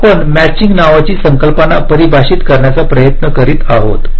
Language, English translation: Marathi, so we are trying to define something called a matching, matching